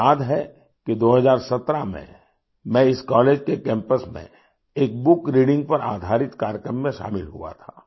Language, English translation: Hindi, I remember that in 2017, I attended a programme centred on book reading on the campus of this college